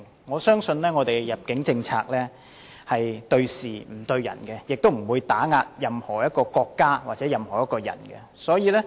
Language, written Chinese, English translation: Cantonese, 我相信我們的入境政策是對事不對人，亦不會打壓任何國家或個人。, I believe our immigration policy is concerned with facts without targeting any particular person and does not seek to oppress any country or individual